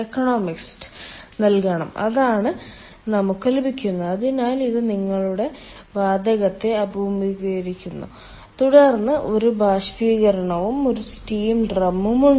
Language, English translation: Malayalam, so if we see that, ah, this is your super heater, it encounters the high temperature gas here, and then there is evaporator